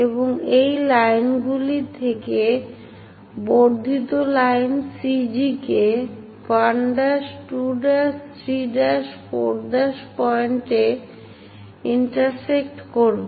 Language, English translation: Bengali, And these lines are going to intersect the extended line CG at 1 dash, 2 dash, 3 dash, 4 dash and so on points